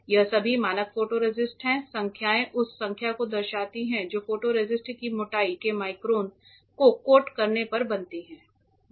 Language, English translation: Hindi, These are all standard photoresists the numbers denote the number that micron of thickness of photoresist that gets formed when you coat it